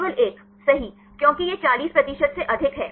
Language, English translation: Hindi, Only 1, right because it is more than 40 percent